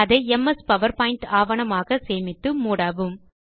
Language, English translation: Tamil, Save it as a MS Powerpoint document